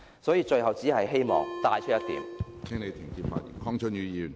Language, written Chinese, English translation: Cantonese, 所以，最後只希望帶出一點......, Hence I would like to bring forth a final point